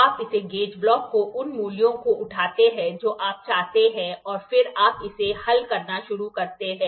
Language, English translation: Hindi, You make this gauge blocks pick up the values whatever you want and then you start solving it